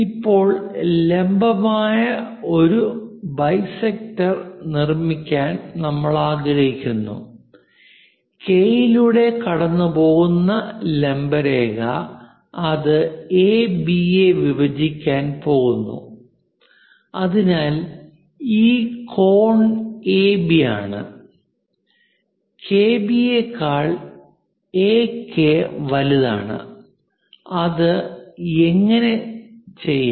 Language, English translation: Malayalam, Now, what we would like to do is; construct a perpendicular bisector, perpendicular line passing through K, which is going to intersect AB; so that this angle is AB; AK is greater than KB; how to do that